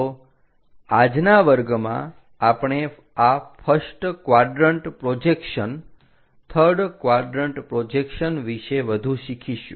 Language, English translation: Gujarati, So, in today's class we will learn more about this first quadrant projections